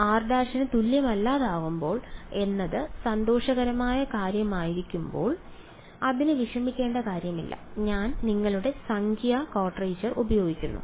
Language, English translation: Malayalam, So, when r is not equal to r prime that is the happy case there is nothing to worry about that I simply use your numerical quadrature